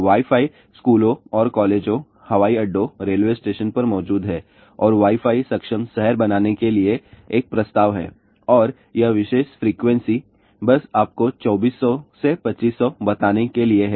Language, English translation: Hindi, Wi Fi is present in schools and colleges, at airports , railway stations and there is a proposal to make a Wi Fi enabled city and this particular frequency just to tell you 2400 to 2500